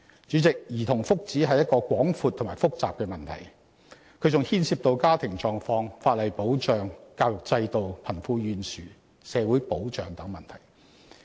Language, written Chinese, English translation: Cantonese, 主席，兒童福祉是一個廣闊及複雜的問題，更牽涉到家庭狀況、法例保障、教育制度、貧富懸殊、社會保障等問題。, President childrens well - being is a broad and complicated issue which involves family conditions statutory protection education system disparity between the rich and the poor social security etc